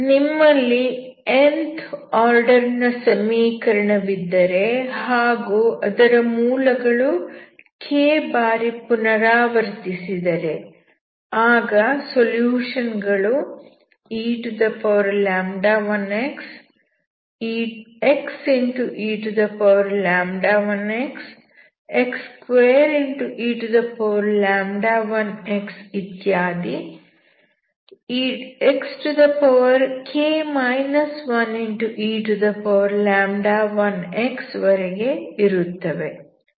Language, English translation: Kannada, So if you have Nth order equations and the roots are repeated up to k times, then the solution will be,eλ1x, x eλ1 x,x2eλ1 x, and so on untilxk−1eλ1 x